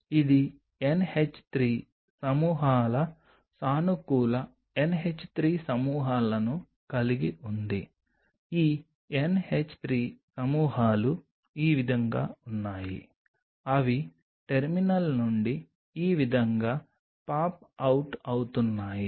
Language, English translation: Telugu, This has bunch of NH 3 groups positive NH 3 groups which are popping out these NH 3 groups are like this they are popping out like this from the terminal